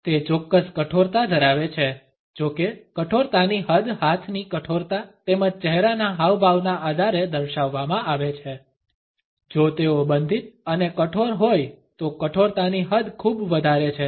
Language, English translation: Gujarati, It does have a certain rigidity; however, the extent of rigidity is displayed on the basis of the rigidity of arms, as well as the facial expressions; if they are closed and rigid then the extent of rigidity is great